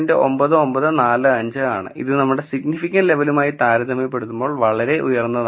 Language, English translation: Malayalam, 9945 which is really high compared to our significance level